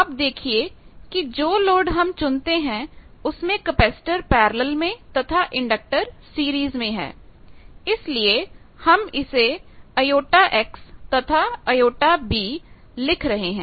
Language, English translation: Hindi, So, you see with the load we choose that there is a capacitor in parallel and this is a series inductance that is why we are calling J X and j b